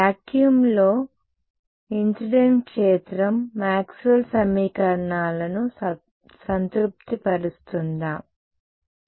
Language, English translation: Telugu, In vacuum does the incident field satisfy Maxwell’s equations